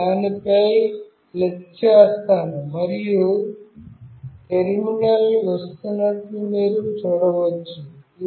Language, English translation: Telugu, I will just click on that and you can see a terminal is coming